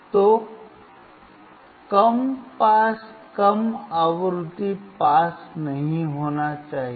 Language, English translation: Hindi, So, low pass low frequency should not pass